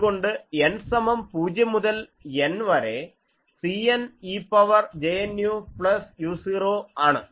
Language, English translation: Malayalam, So, F u now can be written as C 0 2 N C 0 e to the power minus j n u plus C